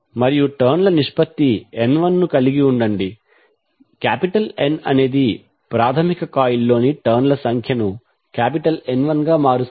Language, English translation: Telugu, And have the turns ratio N 1, N turns number of turns in primary coil as N 1